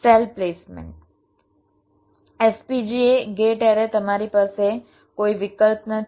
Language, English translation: Gujarati, variable cell placement, fpga, gate array is you do not any choice